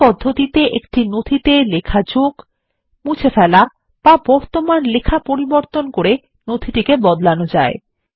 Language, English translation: Bengali, In this manner, modifications can be made to a document by adding, deleting or changing an existing text in a document